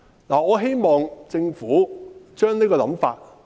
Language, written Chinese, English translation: Cantonese, 我希望政府放下這種想法。, I hope the Government will put aside this thought